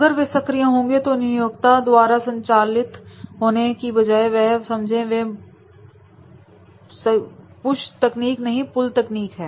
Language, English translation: Hindi, If they are proactive in their learning, then rather than driven by the employer, so therefore it is not the push technique, it is a pull technique